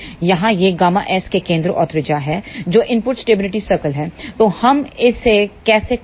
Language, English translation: Hindi, Here this is the centre and radius of the gamma s which is input stability circle so, how do we locate that